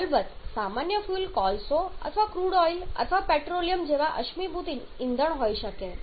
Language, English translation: Gujarati, Now what can be the common fuel of course common fuel can be the fossil fuels like coal or maybe the crude oil or petroleum